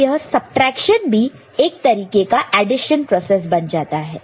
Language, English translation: Hindi, So, basically subtraction here also becomes an addition process right